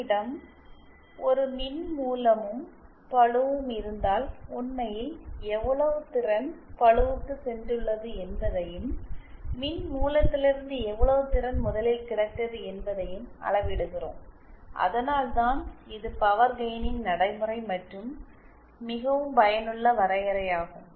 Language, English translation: Tamil, If we have a source and load then we measure how much power has actually gone to the load and how much power was originally available from the source and that’s why this is the most practical and most useful definition of power gain